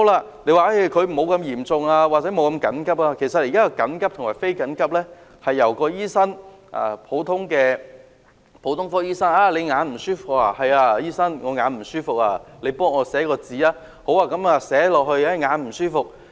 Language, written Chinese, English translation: Cantonese, 至於一些沒有這麼嚴重或不緊急的個案——其實現在緊急和非緊急是由普通科醫生決定的——醫生會問："你眼睛不舒服？, Lets see what is happening to less serious or urgent cases―actually the degree of urgency is determined by a general practitioner . The doctor will ask Eye problem? . The patient said Yes doctor